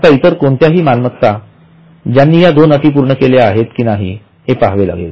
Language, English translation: Marathi, Now any other asset, first of all you have to see whether it meets these two conditions